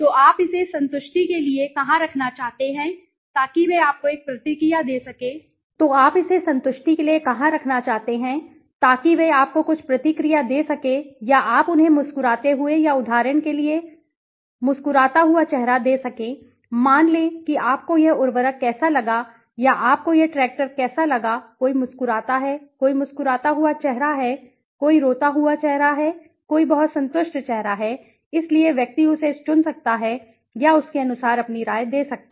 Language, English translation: Hindi, So where do you want to place it as for satisfaction so they might be able to give you a some response or you can give them graphical or face you faces you know for example some smiling face, suppose how do you like this fertilizer or how do you like this tractor somebody smile there is a smiling face, there is a crying face, there is a highly satisfied face, so the person can pick it or give his opinion accordingly